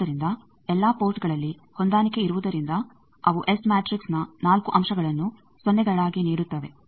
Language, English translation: Kannada, So, matched at all ports give us 4 elements of the S matrix they go to 0